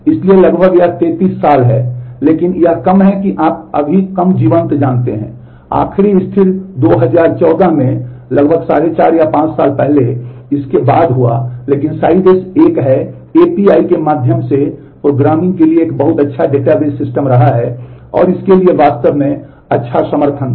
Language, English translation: Hindi, So, that is almost 30 years, but it is less you know less vibrant right now, the last stable released happen in 2014 about nearly more than 3 and a half or 4 years ago and, but Sybase is a has been a very good database systems for programming through API’s and it has really good support for that